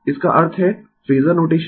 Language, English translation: Hindi, That means, my phasor notation